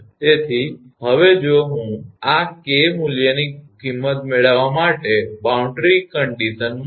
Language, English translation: Gujarati, Now, now if I put the boundary condition to get the value of this K value